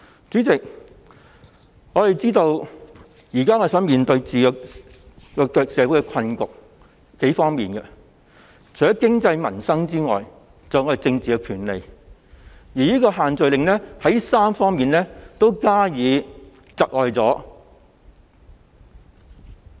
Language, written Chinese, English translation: Cantonese, 主席，我們知道社會目前面對數方面的困局，除了經濟、民生外，還有政治，而這3方面均受限聚令影響。, President we are aware that our society is currently facing difficulties in various aspects―economy peoples livelihood and also politics . These three aspects are all affected by the social gathering restriction